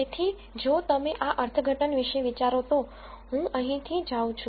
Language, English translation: Gujarati, So, if you think of this interpretation whereas, I go from here